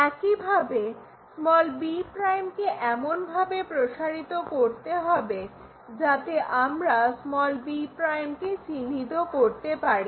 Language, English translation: Bengali, Similarly, this b 1 we are extending in such a way that we locate b'